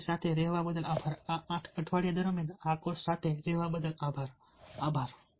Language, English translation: Gujarati, thanks for being with us, thanks for being with this course throughout these eight weeks